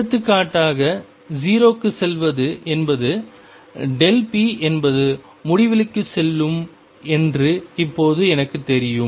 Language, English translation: Tamil, For example, now I know that delta x going to 0 means delta p goes to infinity